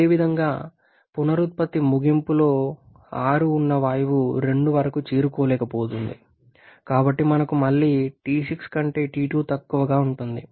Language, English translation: Telugu, Similarly the gas at the end of regeneration that is 6 is not able to reach upto 2 so we have T2 less than T6